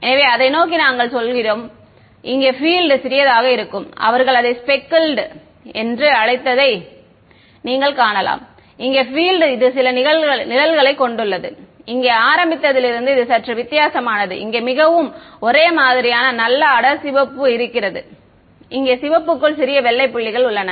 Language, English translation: Tamil, So, that is what we say towards the right hand side over here the field looks a little what they called speckled you can see the field over here it has some the shading is slightly different from at the very beginning here is the very nice homogenous dark red here is a here there are little white dots inside the red